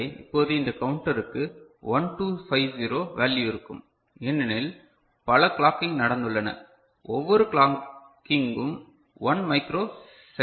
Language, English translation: Tamil, So now the counter, this counter will be having 1 2 5 0 value because so many clocking has taken place each clocking is 1 microsecond right